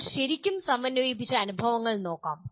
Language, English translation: Malayalam, Now, we can look at the experiences are really integrated